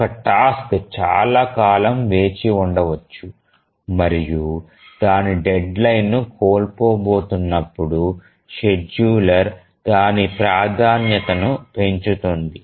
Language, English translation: Telugu, So, one task may be waiting for long time and it's about to miss its deadline, then the scheduler will increase its priority so that it will be able to meet its deadline